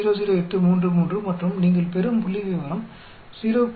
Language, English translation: Tamil, 00833 and the statistic you get 0